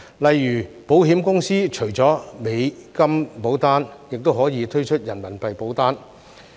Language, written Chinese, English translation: Cantonese, 例如保險公司除了美元保單，亦可以推出人民幣保單。, For example insurance companies can introduce RMB policies apart from those in US dollar